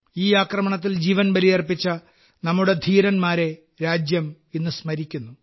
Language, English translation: Malayalam, Today, the country is in remembrance of those brave hearts who made the supreme sacrifice during the attack